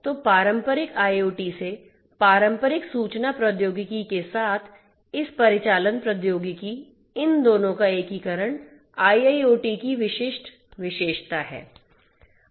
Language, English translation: Hindi, So, this operational technology along with the traditional information technology from the traditional IoT, the integration of both of these is the distinguishing characteristic of IIoT